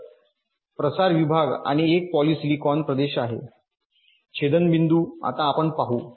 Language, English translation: Marathi, so ah, diffusion region and a polysilicon region is intersecting, now you see